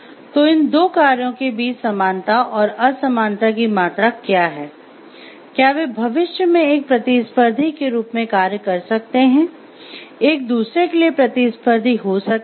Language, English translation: Hindi, So, what is the degree of similarity and dissimilarity between these two functions, can in future they be acting as competition, competitive to each other